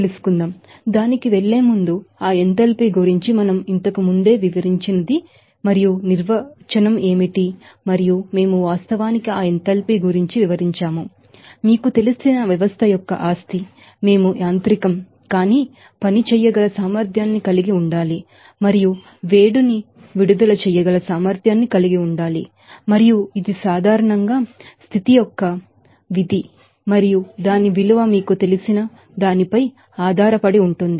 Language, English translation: Telugu, So, before going to that, we have to go through again how that what is enthalpy we have already described about that enthalpy and what is the definition and we have actually narrated about that enthalpy that it can be you know, a you know property of the system, we should be capable to do non mechanical work and capable to release heat and it is generally a function of state and its value depends on you know, the starting end point I will state of the system